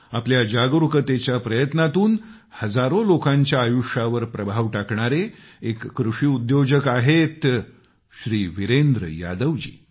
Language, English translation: Marathi, Shri Virendra Yadav ji is one such farmer entrepreneur, who has influenced the lives of thousands through his awareness